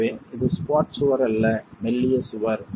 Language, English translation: Tamil, So, it is a slender wall not a squat wall